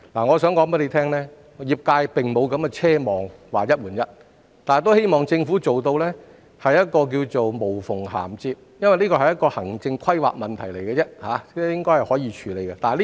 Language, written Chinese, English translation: Cantonese, 我想告訴局長，業界並不奢望有"一換一"的安排，但他們希望政府能做到"無縫銜接"，因為這屬於行政規劃的問題，應該可以處理。, I wish to tell the Secretary that the industry will not cherish any unrealistic hope for one - on - one arrangements but they do hope that the Government can achieve seamless reprovisioning because this is a matter of administrative planning that it should be able to handle properly